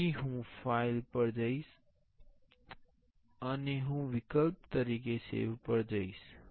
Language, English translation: Gujarati, So, I will go to the file and I will go to the save as option